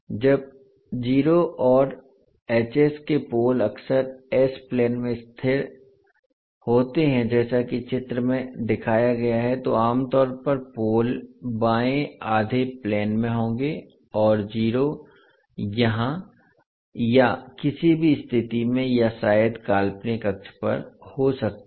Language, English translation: Hindi, Now zeros and poles of h s are often located in the s plane as shown in the figure so generally the poles would be in the left half plane and zeros can be at any location weather here or there or maybe at the imaginary axis